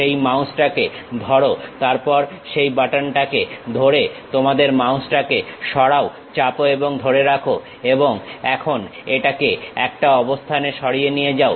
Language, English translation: Bengali, Hold that mouse, then move your mouse by holding that button press and hold that and now move it to one location